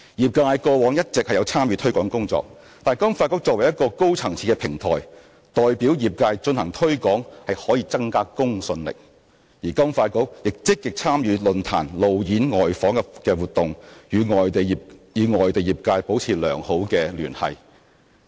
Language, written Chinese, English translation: Cantonese, 業界過往一直有參與推廣工作，但金發局作為一個高層次的平台，代表業界進行推廣可增加公信力，而金發局亦積極參與論壇、路演、外訪等活動，與外地業界保持良好的聯繫。, Although members of the sector have also been taking part in such promotion work credibility could be enhanced if FSDC as a high - level platform could participate in the promotion on behalf of the sector . In this connection FSDC has played an active part in activities such as seminars roadshows and overseas visits so as to maintain good communication with members of the relevant sectors overseas